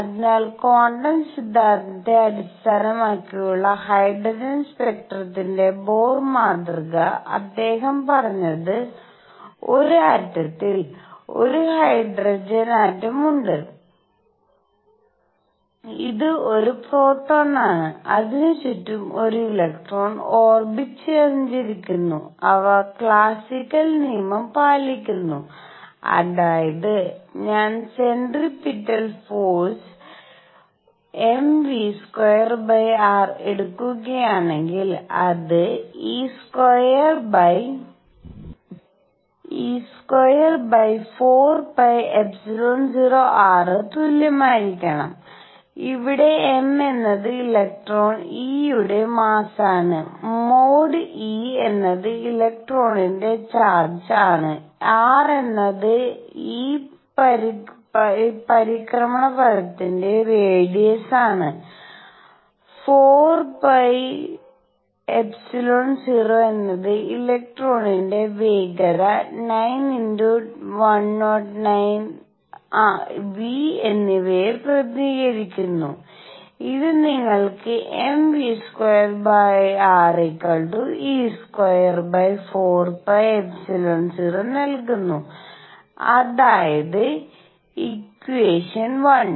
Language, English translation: Malayalam, So, Bohr model of hydrogen spectrum based on quantum theory; what he said is that in an atom, there is a hydrogen atom, this is a proton around which an electron is going around in orbits and they follow classical law; that means, if I were to take the centripetal force m v square over r, it should be equal to 1 over 4 pi epsilon 0 e square over r where m is the mass of electron e; mod e is charge of electron, r is the radius of this orbit and 4 pi epsilon 0 represents that constant 9 times 10 raise to 9, v, the speed of electron and this gives you m v square r equals e square over 4 pi epsilon 0 that is equation 1